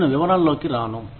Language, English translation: Telugu, I will not get into the details